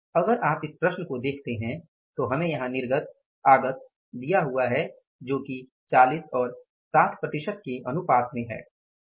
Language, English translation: Hindi, So, if you look at this problem given here is we are giving output input that is in the ratio of 40 to 60 percent